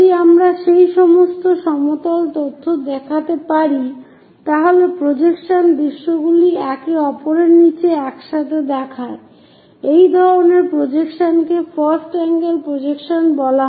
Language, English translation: Bengali, If we can show all these plane information, the projected views showing side by side one below the other that kind of projection is called first angle projection